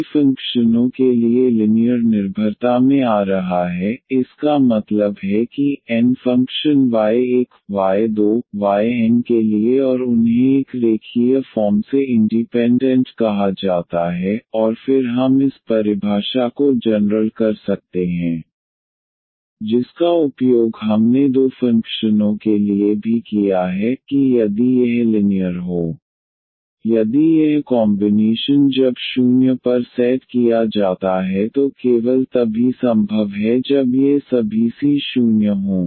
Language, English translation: Hindi, Coming to the linear dependence for many functions; that means, for n functions y 1, y 2, y n and they are said to be a linearly independent and then we can generalize this definition which we have also used for two functions, that if this linear combination c 1 y 1 plus c 2 y 2 plus c n and y n is equal to 0, if this combination when set to 0 is possible only when all these c’s are 0